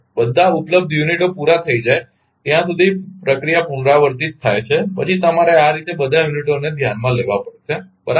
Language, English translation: Gujarati, The process is repeated till all the available units are exhausted then you have to consider in this way all the all the units right